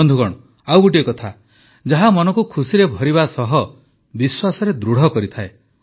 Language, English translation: Odia, Friends, there's one more thing that fills the heart with joy and further strengthens the belief